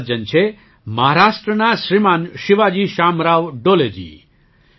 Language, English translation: Gujarati, This is a gentleman, Shriman Shivaji Shamrao Dole from Maharashtra